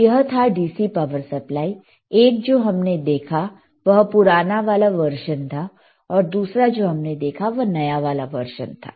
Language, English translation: Hindi, So, this is all about your DC power supply, one that we have seen is older version, and other that we have seen is a newer version